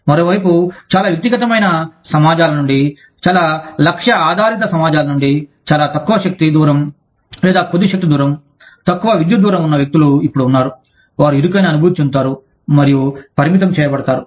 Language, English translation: Telugu, On the other hand, people coming from very individualistic societies, very goal oriented societies, with very little power distance, or with a smaller power distance, a shorter power distance, are now, are may feel cramped, and may feel restricted